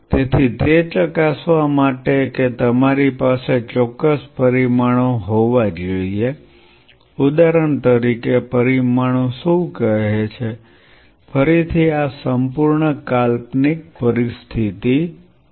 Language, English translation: Gujarati, So, in order to test that you have to have certain parameters what are the parameters say for example, again this is whole hypothetical situation